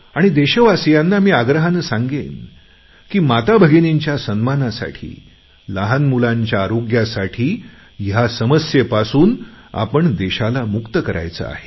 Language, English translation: Marathi, I appeal to all of my countrymen that to maintain the dignity of our mothers and sisters and for the sake of health of our children, our country needs to get rid of this scourge